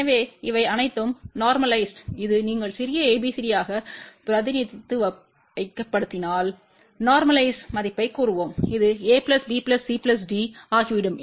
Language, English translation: Tamil, So, if it all these are normalized then this will become let us say normalized value if you represent as small abcd, then this will become small a plus b plus c plus d